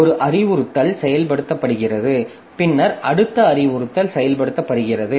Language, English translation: Tamil, So, one instruction is executed, then the next instruction is executed and like that it goes on